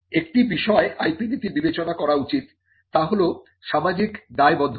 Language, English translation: Bengali, Now, one of the things that IP policy should consider this social responsibility